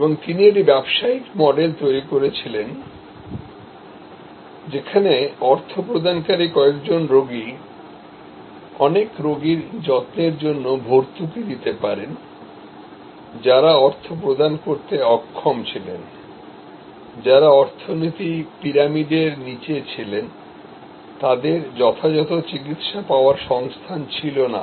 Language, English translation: Bengali, And he created a business model, where the paying patients, few paying patients could subsidize many patients care, who were unable to pay, who were at the bottom of the economy pyramid, they did not have the resources to get proper treatment